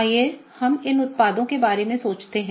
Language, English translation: Hindi, Let us think about these products